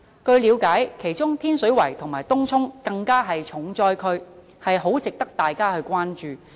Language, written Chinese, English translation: Cantonese, 據了解，其中天水圍及東涌更是重災區，很值得大家關注。, It is learnt that among them Tin Shui Wai and Tung Chung are the worst cases giving us a cause for concern